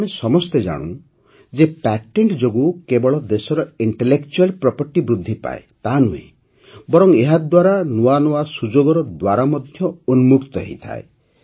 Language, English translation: Odia, We all know that patents not only increase the Intellectual Property of the country; they also open doors to newer opportunities